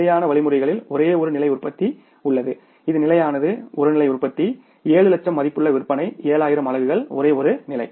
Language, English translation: Tamil, Static means only one level of production which is stable, one level of production, 7 lakh worth of sales, 7,000 units only one level